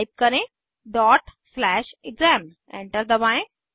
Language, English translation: Hindi, Type ./ exam Press Enter